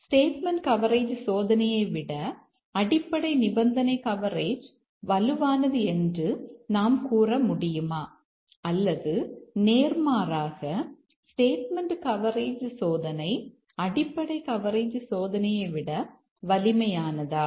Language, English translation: Tamil, Can we say that basic condition coverage is stronger than statement coverage testing or is it vice versa that statement coverage testing is stronger than basic coverage testing